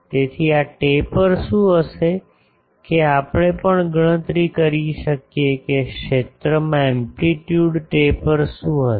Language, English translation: Gujarati, So, what will be the taper that also we can calculate that what will be the amplitude taper in the field